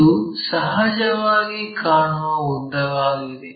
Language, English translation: Kannada, So, this is apparent length